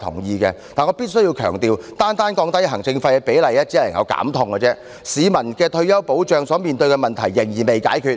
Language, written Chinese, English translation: Cantonese, 然而，我必須強調，單單降低行政費的比率只能減痛，仍未能解決市民就退休保障所面對的問題。, However I must emphasize that the initiative of lowering the administration fees only is just a measure of relieving pain without resolving the problem of retirement protection faced by the public